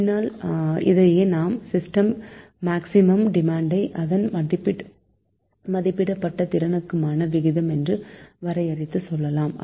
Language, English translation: Tamil, so later, ah, this this is we define, that is the ratio of the maximum demand of a system to the rated capacity of the system